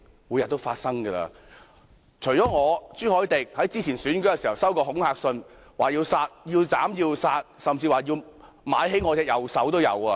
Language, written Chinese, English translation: Cantonese, 我和朱凱廸議員早前在選舉時收到恐嚇信，表明要斬要殺，甚至說要買兇傷我的右手。, I and Mr CHU Hoi - dick have received intimidation letters earlier during the election which threatened to chop and kill us and even to hire someone to hurt my right hand